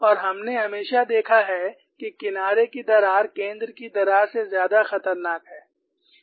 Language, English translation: Hindi, So, that way surface cracks are always more dangerous than edge cracks